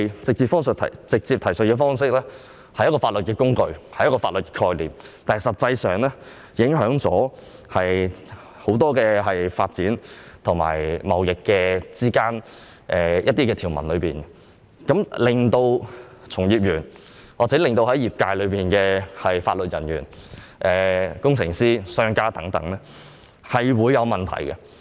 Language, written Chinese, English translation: Cantonese, 這種直接提述方式看似是法律工具、法律概念，但實際上卻會對很多發展及貿易規定的條文造成影響，令從業員或業界的法律人員、工程師、商家遇到問題。, It seems that the direct reference approach is a legal tool or concept but it will affect many legal provisions concerning trade development thus causing problems for practitioners legal personnel in relevant trades and industries engineers and businessmen